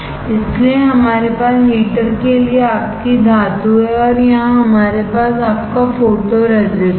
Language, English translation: Hindi, So, we have here your metal for heater and here we have your photo resist